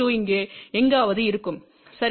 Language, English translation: Tamil, 2 will be somewhere here ok